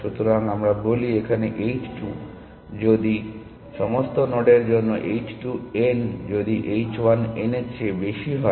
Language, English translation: Bengali, So, we say h 2 is more informed than h 1 if for all nodes h 2 n is greater than h 1 n